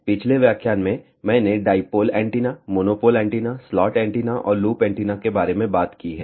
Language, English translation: Hindi, In the last lecture I have talked about dipole antenna, monopole antenna, slot antenna and loop antenna